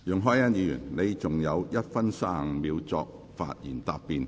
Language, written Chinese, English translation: Cantonese, 容海恩議員，你還有1分35秒作發言答辯。, Ms YUNG Hoi - yan you still have 1 minute 35 seconds to reply